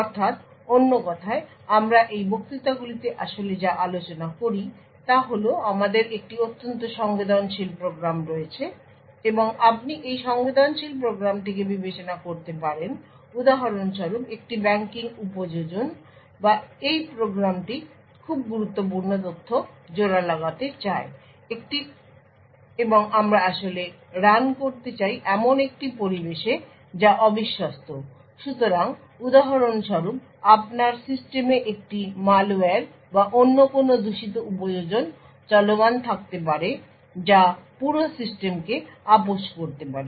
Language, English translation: Bengali, So, in other words what we actually discuss in these lectures is that we have a very sensitive program and you could consider this sensitive program for example say a banking application or this program wants to do encryption of very critical data and we want to actually run this particular program in an environment which is untrusted, So, for example you may have a malware or any other malicious applications running in your system which has compromise the entire system